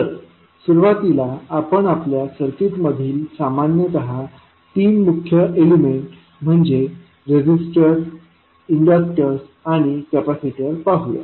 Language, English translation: Marathi, So, let us first see the three key elements which we generally have in our circuit those are resisters, inductors and capacitors